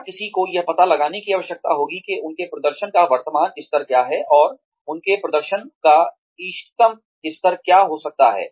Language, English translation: Hindi, And, , one will need to find out, what their current level of performance is, and what their optimal level of performance can be